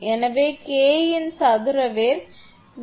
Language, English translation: Tamil, So, square root of K is 0